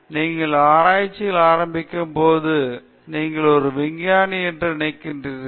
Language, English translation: Tamil, So, when you started doing research they think you are a scientist